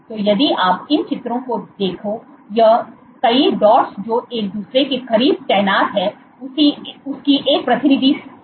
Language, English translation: Hindi, So, what this is a representative picture of multiple dots which are positioned close to each other